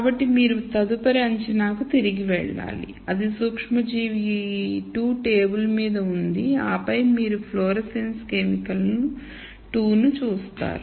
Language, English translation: Telugu, So, you have to go back to the next assumption which would be microorganism 2 is there on the table and then you look at the uorescence chemical 2 and so on